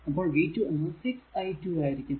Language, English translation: Malayalam, So, v 2 will be minus 6 into i, right